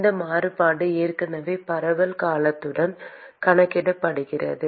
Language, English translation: Tamil, That variation is already accounted with the diffusion term